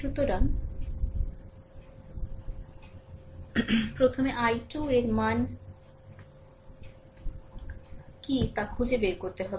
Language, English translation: Bengali, So, what is the first you have to find out what is the value of i 2